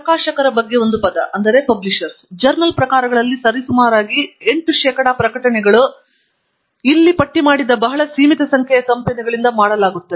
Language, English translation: Kannada, A word about publishers; roughly about eighty percent of the publications in the journal forms are done by a very limited number of companies that I have listed here